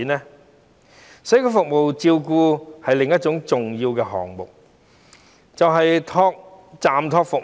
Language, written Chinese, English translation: Cantonese, 社會照顧服務的另一個重要項目，就是長者住宿暫託服務。, Another important item under community care service is the Residential Respite Service for Elderly Persons